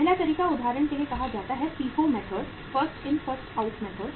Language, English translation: Hindi, First method is say for example FIFO method First In First Out Method